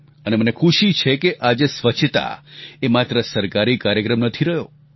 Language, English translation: Gujarati, And I'm happy to see that cleanliness is no longer confined to being a government programme